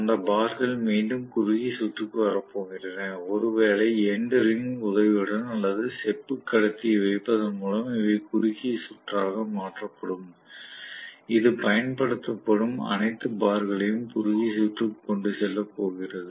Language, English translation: Tamil, And those bars are again going to be short circuited, maybe with the help of endearing or it simply put copper conductor, which is going to short circuit the complete bars, all the bars which are being used